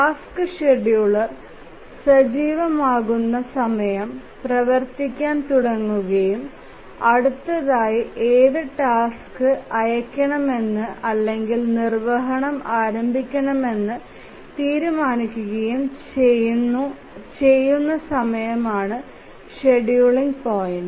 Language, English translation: Malayalam, The scheduling point are the times at which the task scheduler becomes active, starts running and decides which tasks to dispatch or start execution next